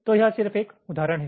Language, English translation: Hindi, so this just an example, illustrative example